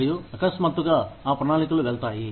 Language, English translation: Telugu, And, suddenly, those plans go kaput